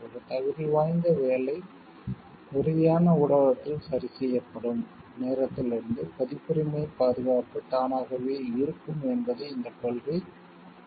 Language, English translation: Tamil, This principle implies that copyright protection exist automatically from the time a qualifying work is fixed in a tangible medium